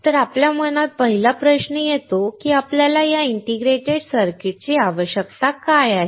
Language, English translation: Marathi, So, the first question that comes to our mind is why we need this integrated circuit